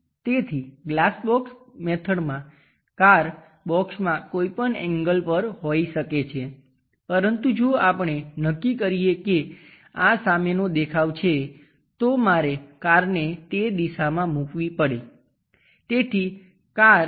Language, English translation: Gujarati, So, the box in the glass box method car might be in any inclination, but if we are going to decide this one I would like to have a front view I would have placed the car in that direction